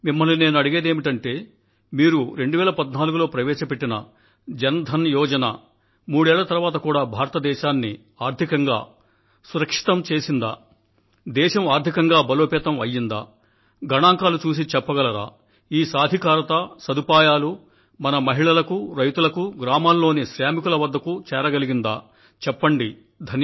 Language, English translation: Telugu, With reference to the social schemes related to Financial Inclusion, my question to you is In the backdrop of the Jan DhanYojna launched in 2014, can you say that, do the statistics show that today, three years later, India is financially more secure and stronger, and whether this empowerment and benefits have percolated down to our women, farmers and workers, in villages and small towns